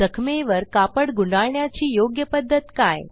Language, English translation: Marathi, And how should we roll the cloth around the wound